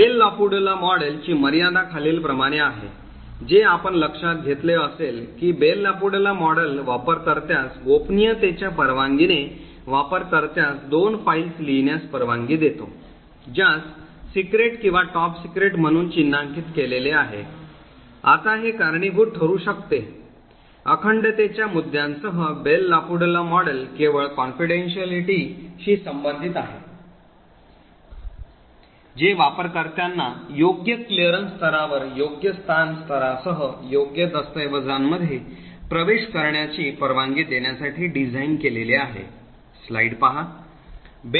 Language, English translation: Marathi, The limitations of the Bell LaPadula model is as follows, first as you would have noticed that the Bell LaPadula model permits a user with a clearance of confidential to write two files which is marked as secret or top secret, now this could cause integrity issues, the Bell LaPadula model is only concerned with confidentiality it is design to permit users with the right clearance level access right documents with the correct location level